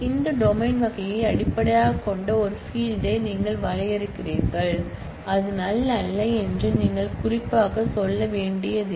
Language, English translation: Tamil, You define a field based on this domain type you do not have to specifically say that it is not null